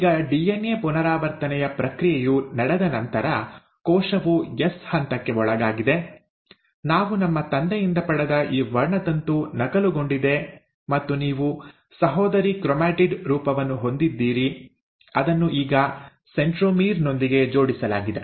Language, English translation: Kannada, Now after the process of DNA replication has happened, the cell has undergone the S phase, this chromosome that we had received from our father got duplicated and you had the sister chromatid form which is now attached with the centromere